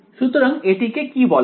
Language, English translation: Bengali, So, what is this guy called